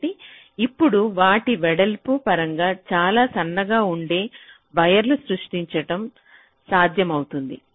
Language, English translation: Telugu, so now it is possible to create wires which are much thinner in terms of their width w